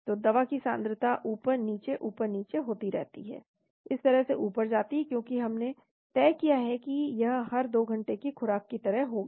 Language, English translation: Hindi, So concentration of the drug goes up down, up down, like that because we have decided that it will be like a every 2 hours dosage is given actually